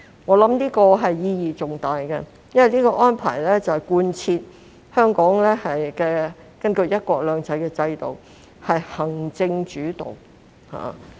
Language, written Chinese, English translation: Cantonese, 我認為這項規定意義重大，因為是貫徹香港根據"一國兩制"的制度是行政主導。, I consider this requirement very meaningful as it demonstrates the executive - led style of governance implemented under the regime of one country two systems